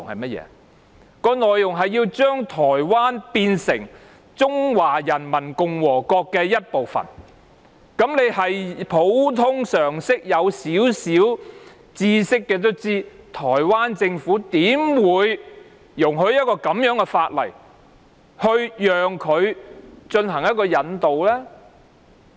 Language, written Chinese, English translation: Cantonese, 是將台灣變成中華人民共和國的一部分，有少許普通常識的人也知道，台灣政府怎會容許根據以這樣的法例進行引渡呢？, It is are about making Taiwan part of the Peoples Republic of China . Anyone with an ounce of common sense will understand that the Taiwanese Government would not possibly allow any extradition under such a law